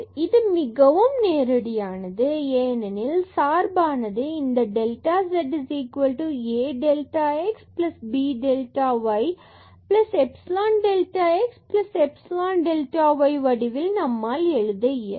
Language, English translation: Tamil, So, here it was very easy directly because of this function to express in this form as delta z is equal to a delta x plus b delta y plus epsilon delta x plus epsilon delta y